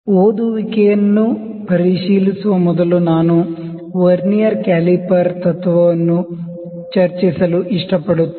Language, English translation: Kannada, So, before checking the reading I like to discuss the principle of Vernier caliper